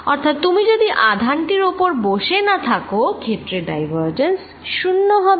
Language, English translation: Bengali, so so as long as you are not sitting on the charge, the divergence of the field is zero